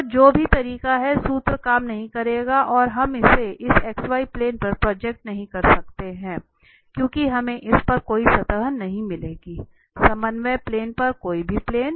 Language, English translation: Hindi, So whatever ways the formula will not work and here also this is not, we cannot project it on this x y plane because we will not get any surface on this, any plane on the coordinate planes